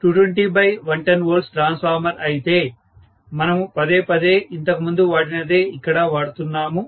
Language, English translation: Telugu, 2 kVA 220 by 110 volts transformer, repeatedly whatever we had used earlier, I am just using it again